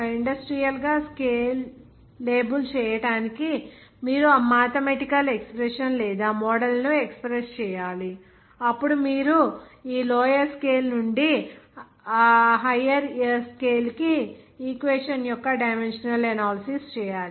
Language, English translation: Telugu, You have to express that mathematical expression or model to make it industrially scale label then what you have to do the dimensional analysis of the equation from this lower scale to the upper scale there